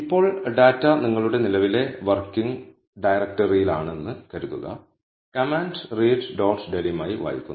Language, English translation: Malayalam, Now, assuming that the data is in your current working directory, the command reads as read dot delim